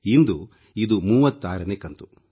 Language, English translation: Kannada, This is the 36th episode today